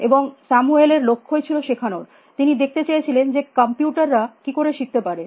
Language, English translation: Bengali, And Samuels goals for actually learning, he wanted to see how computers could learn